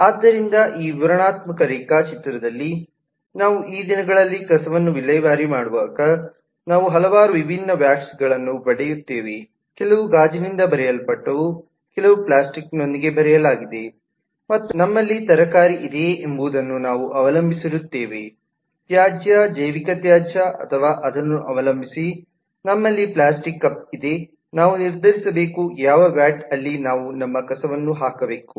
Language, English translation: Kannada, so here in this illustrative diagram, i am trying to show that we often, when we these days, go to dispose garbage, then we get a number of different vats, some written with glass, some written with plastic and so on, and depending on what we have whether we have a vegetable waste, a biological waste or we have a plastic cup in depending on that, we need to decide which vat we should put our garbage into